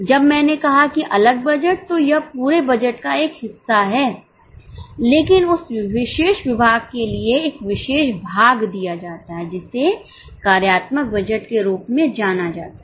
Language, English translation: Hindi, When I said separate budget, it's a part of the whole budget but for that particular department a particular portion is given that is known as a functional budget